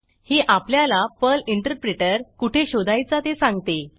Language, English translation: Marathi, It tells where to find the Perl Interpreter